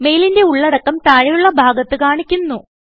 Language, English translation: Malayalam, The contents of the mail are displayed in the panel below